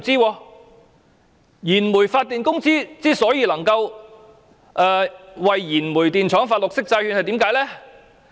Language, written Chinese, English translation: Cantonese, 為何燃煤發電公司能夠為燃煤電廠發行綠色債券呢？, Why are companies engaged in coal - fired power generation able to issue green bonds for their coal - fired power plants?